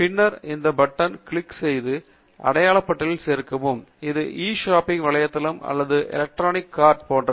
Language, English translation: Tamil, And then, after that, we can click on this button Add to Marked List, what it does is basically like a e shopping website or like an electronic cart